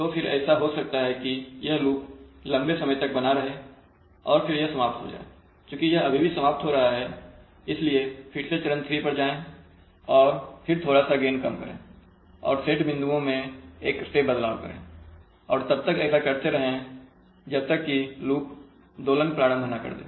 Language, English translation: Hindi, So then it may happen that this loop will tent to persist for longer time, still it damps out, so still it damps out, again go to step 3 and then reduce gain little bit and make a step change in set points, so go on doing this till the loop oscillates